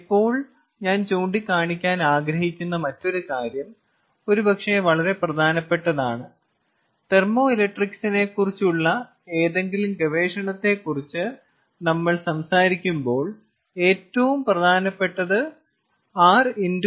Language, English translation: Malayalam, now the other thing that i would like to point out, which is probably very, very important, probably the most important when we talk about any research on thermoelectrics is r times k